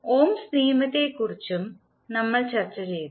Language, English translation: Malayalam, We also discussed the Ohm’s Law